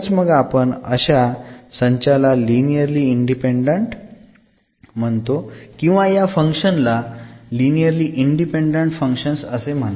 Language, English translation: Marathi, Then we call that these set here is linearly independent or these functions are linearly independent